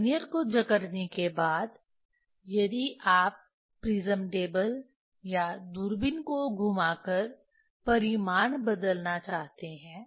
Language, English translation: Hindi, After clamping, Vernier if you want to change magnitude rotation of prism table or the telescope